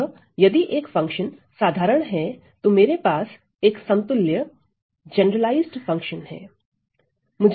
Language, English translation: Hindi, So, if a function is ordinary then what I have is that the generalized the generalized function equivalent